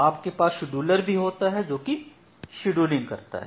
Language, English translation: Hindi, Now you have the scheduler, what the scheduler will do